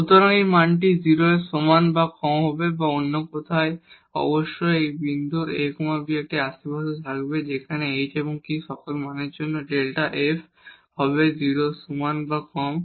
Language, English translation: Bengali, So, this value will be less than equal to 0 or in other words there will be definitely a neighborhood of this point a b where this delta f will be less than equal to 0 for all values of h and k